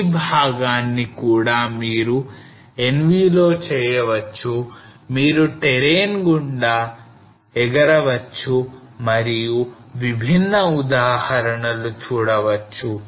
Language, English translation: Telugu, You see this so this part also you can do on NV you can fly through the terrain and then look at different example